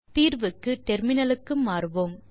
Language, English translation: Tamil, So for solution, we will switch to terminal